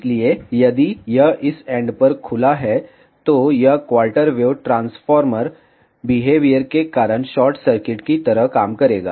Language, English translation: Hindi, So, if it is open at this end, it will act like a short circuit because of quarter wave transformer behavior